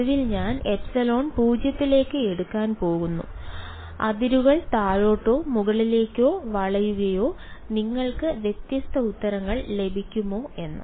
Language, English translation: Malayalam, Finally, I am going to take epsilon tending to 0 whether the boundary bends downwards or upwards will you get different answers right